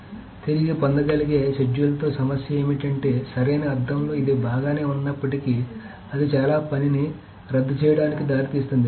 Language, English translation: Telugu, So that is the problem with recoverable schedules is that even though it is fine in the sense of correctness, but it may lead to a lot of work being undone